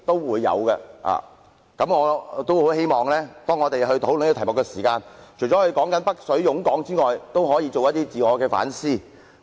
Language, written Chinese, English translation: Cantonese, 所以，我希望當我們討論這題目時，除了討論"北水湧港"外，也可以進行一些自我反思。, For this reason in discussing the subject I hope that we can conduct a self - reflection other than pointing out the influx of capital from the Mainland into Hong Kong